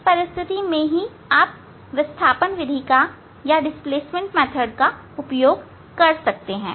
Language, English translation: Hindi, that is the condition to use this displacement method